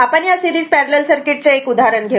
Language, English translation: Marathi, Suppose take this example that is one series parallel circuit